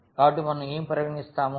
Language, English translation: Telugu, So, what do we consider